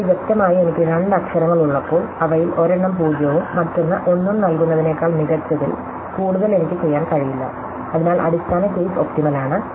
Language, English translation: Malayalam, Now, clearly when I have only two letters, I cannot do any better than assign the one of them 0 and one of them 1, so the base case is optimal